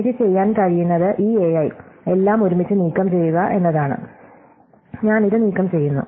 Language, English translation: Malayalam, The other thing which I can do is to remove this a i all together, I just remove this a i